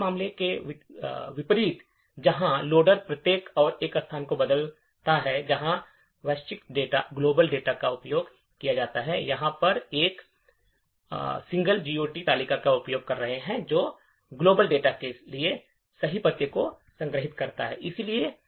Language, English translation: Hindi, Unlike, the previous case where the loader goes on changing each and every location where the global data is used, here we are using a single GOT table which stores the correct address for the global data